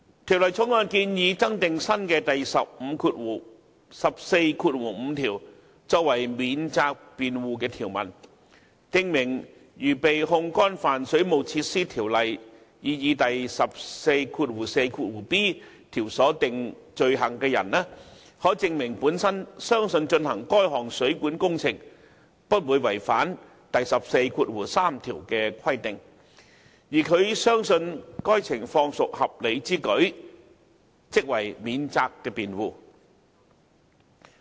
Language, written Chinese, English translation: Cantonese, 《條例草案》建議增訂新的第145條作為法定免責辯護條文，訂明如被控干犯《水務設施條例》擬議第 144b 條所訂罪行的人可證明本身相信進行該項水管工程不會違反第143條的規定，而他相信該情況屬合理之舉，即為免責辯護。, The Bill proposes adding the proposed new section 145 of WWO as a provision for statutory defence which provides that it is a defence for a person who is charged with an offence under the proposed section 144b to establish that he believed that carrying out the plumbing works would not contravene section 143 and it was reasonable for him to so believe